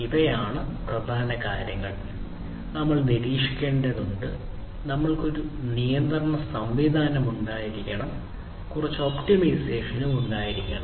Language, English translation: Malayalam, These are the key things that; we have seen we need to monitor, we need to have a control mechanism, and we need to have some optimization ok